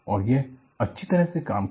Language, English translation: Hindi, And it has worked well